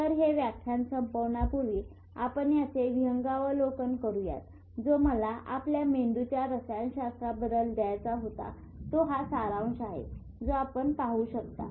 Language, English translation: Marathi, So just to wrap it up, because this was the type of overview which I wanted to give you about the chemistry of the brain and this is a summary which you can see